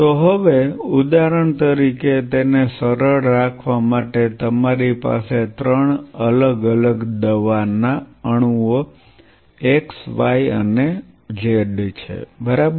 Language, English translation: Gujarati, So, now, say for example, to keep it simple you have three different drug molecules x y and z right